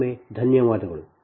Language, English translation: Kannada, so thank you again